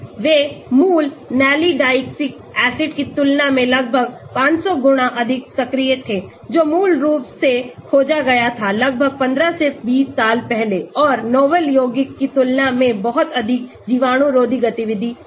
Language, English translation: Hindi, they were found to be almost 500 times more active than the original nalidixic acid which was originally discovered may be about 15 to 20 years back and the novel compounds are much broader antibacterial activity than the original